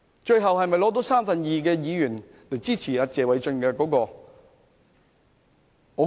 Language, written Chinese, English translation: Cantonese, 最後能否取得三分之二議員支持謝偉俊議員的議案呢？, Can we secure the support of two thirds of Members for the motion of Mr Paul TSE eventually?